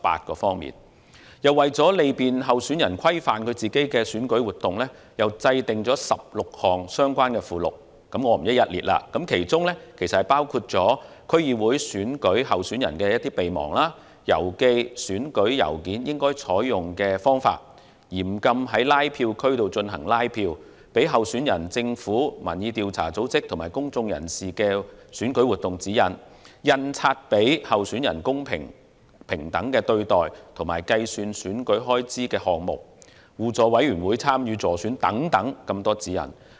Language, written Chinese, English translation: Cantonese, 同時，為利便候選人規範選舉活動，亦制訂了16項相關附錄，我不在此逐一讀出，但涵蓋事宜包括區議會選舉候選人備忘、郵寄選舉郵件應採用的方法、嚴禁在禁止拉票區進行拉票、給候選人、政府部門、民意調查組織及公眾人士的選舉活動指引、印刷傳媒給予候選人公平及平等的對待，以及會被計算為選舉開支的項目、互助委員會參與助選活動事宜的指引等。, In the meantime 16 related appendices have been drawn up to facilitate regulation of election activities by candidates . I will not list them out one by one here but the areas covered include DC Election action checklist for candidates; methods of folding of election mail; canvassing activities which are forbidden within a no canvassing zone; guidance on election activities for candidates government departments public opinion research organizations and members of the public; fair and equal treatment of candidates by the print media; and items of expenses to be counted towards election expenses as well as guidelines for mutual aid committees participating in election activities etc